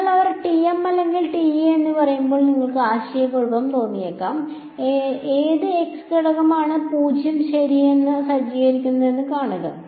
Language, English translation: Malayalam, So, you might find it confusing when they say TM or TE just see which of the z component is being set to 0 ok